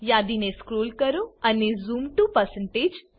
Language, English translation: Gujarati, Scroll down the list and select Zoom to%